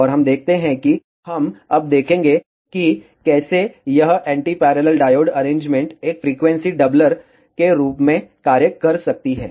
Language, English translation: Hindi, And ah we see we will see now, how this anti parallel diode arrangement can function as a frequency doubler